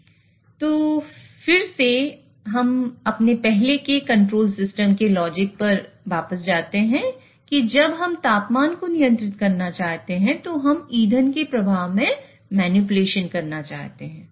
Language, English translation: Hindi, So now we again go back to the logic of our earlier control system that when we want to control the temperature, we want to manipulate the fuel flow